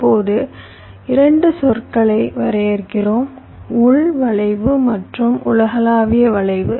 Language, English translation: Tamil, now we define two terminologies: local skew and global skew